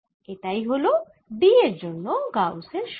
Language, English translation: Bengali, this is the gauss's law for d